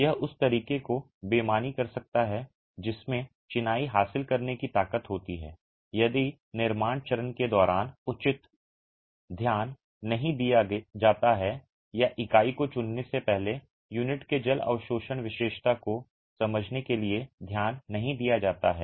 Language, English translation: Hindi, It can foul the way in which the masonry gains strength if due attention is not given during the construction phase or due attention is not given to understand what is the water absorption characteristic of the unit before even selecting the unit